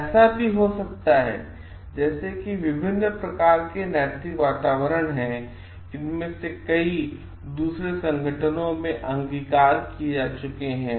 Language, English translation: Hindi, It may so happen like there are different types of ethical climate, and with like that may prevail in different organizations